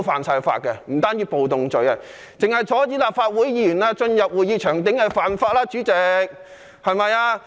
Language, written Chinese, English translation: Cantonese, 主席，單是阻止立法會議員進入會議場地已屬犯法。, Chairman merely obstructing the entry of Legislative Council Members into the meeting venue is an offence